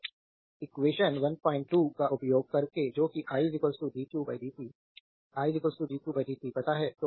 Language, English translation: Hindi, 2 that we know the i is equal to dq by dt i is equal to dq by dt